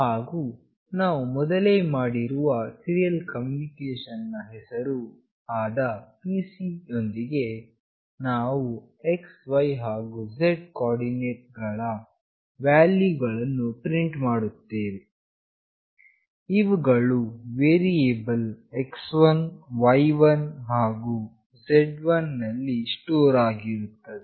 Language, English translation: Kannada, And with the serial communication with the name “pc” that we have already made, we will print the values of the x, y and z coordinate, which is stored in variables x1, y1 and z1